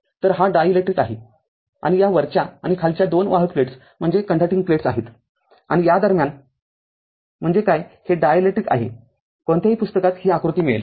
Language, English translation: Marathi, So, this is dielectric and this upper and lower two conducting plates and in between this is your what you call in between, this is dielectric right any book you will get this diagram right